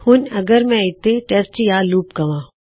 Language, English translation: Punjabi, Now if I say test or loop here